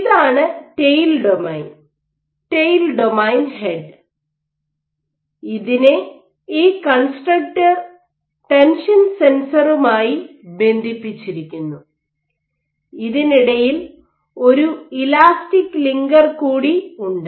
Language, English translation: Malayalam, So, if this is the tail domain head and tail domain is connected by this constructor tension sensor which has an elastic linker in between